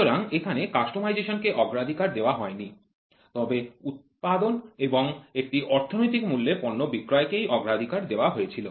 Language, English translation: Bengali, So, here customization was not given a priority, but production and giving the product at an economical price was the priority